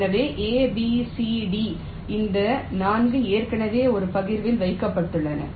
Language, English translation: Tamil, so a, b, c, d, these four already have been put in one partition